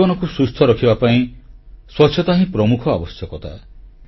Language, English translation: Odia, The first necessity for a healthy life is cleanliness